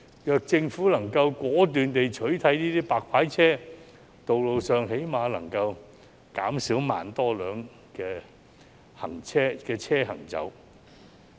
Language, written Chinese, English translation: Cantonese, 若政府能夠果斷地取締這些"白牌車"，道路上最低限度可以減少1萬多輛車行走。, At least 10 000 vehicles can be reduced on the road if the Government decisively bans illegal car hire service